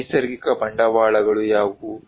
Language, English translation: Kannada, What are the natural capitals